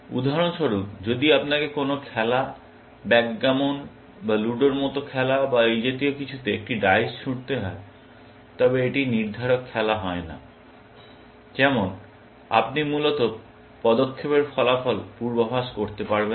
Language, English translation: Bengali, For example, if you have to throw a dies in a game, game like Backgammon or Ludo, or something like that, and that is not a deterministic game where, you cannot predict the outcome of the move, essentially